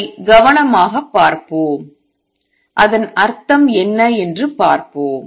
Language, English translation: Tamil, Let us look at it carefully and see what does it mean